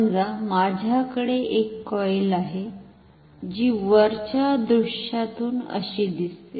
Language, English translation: Marathi, Suppose I have a coil which looks like this from the top view